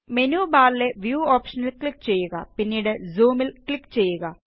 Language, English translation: Malayalam, Click on the View option in the menu bar and then click on Zoom